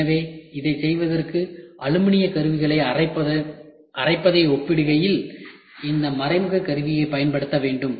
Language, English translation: Tamil, So, for doing this we need to keep on using this indirect tooling in comparison to milling of aluminium tools